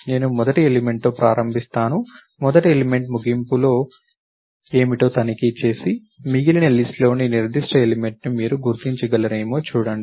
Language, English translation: Telugu, I start with the first element, check what is the end of first element and see, if you can locate the particular element in the rest of the list